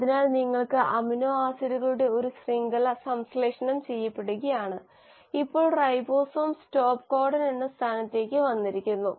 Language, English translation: Malayalam, So you are getting a chain of amino acids getting synthesised and now the ribosome has bumped into a position which is the stop codon